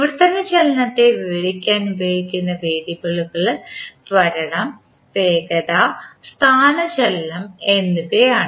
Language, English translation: Malayalam, The variables that are used to describe translational motion are acceleration, velocity and displacement